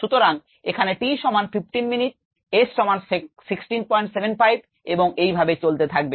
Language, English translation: Bengali, so t equals fifteen minutes, s equals sixteen point seven, five, and so on and so forth